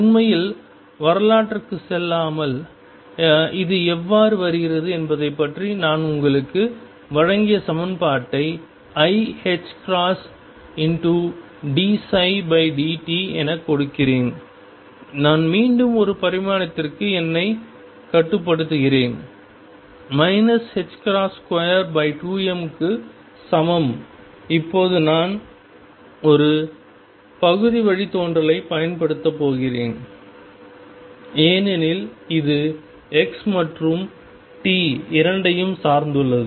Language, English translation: Tamil, Without really going to the history and how it comes about let me give you the equation it is given as i h cross d psi over dt, I am again restricting myself to one dimension, is equal to minus h cross over 2 m now I am going to use a partial derivative because psi depends on both on x and t